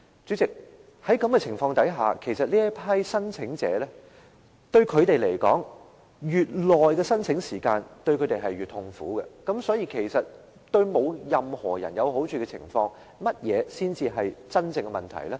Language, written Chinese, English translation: Cantonese, 主席，在這種情況下，其實對這些申請者來說，申請時間越長，便越痛苦，所以在對任何人也沒有好處的情況下，甚麼才是真正的問題呢？, President under the circumstances the longer the period of application the more painful these applicants will be . Hence when no one actually stands to gain what is the real problem?